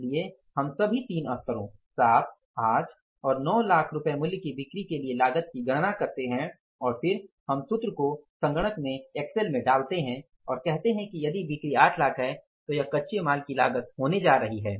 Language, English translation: Hindi, So we calculate the cost for all three levels 7, 8 and 9 lakh worth of rupees sales and then we put the formulas in place in the system in the Excel and we say that if the sales are 8 lakhs this is going to be the cost of raw material